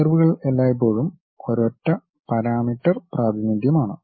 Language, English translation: Malayalam, Curves are always be single parameter representation